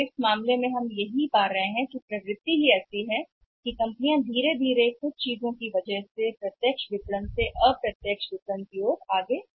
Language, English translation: Hindi, So, in this case we are finding that the trend is like that companies are moving slowly slowly from the direct marketing to the indirect marketing because of certain things